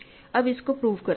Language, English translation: Hindi, So, let us prove now